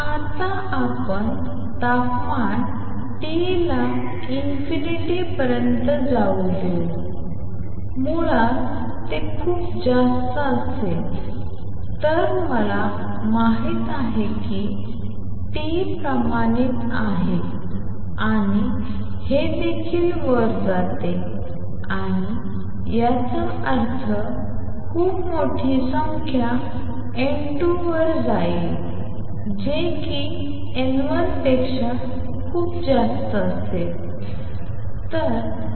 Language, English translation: Marathi, Now, let us see if we let temperature T go to infinity basically become very large then I know that u nu T is proportional T raise to four and this is also go to infinity and this would imply N 2 over N 1 will go to a very large number N 2 would be much much much greater than N 1